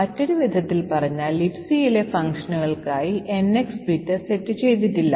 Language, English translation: Malayalam, In other words, the NX bit is not set for the functions in LibC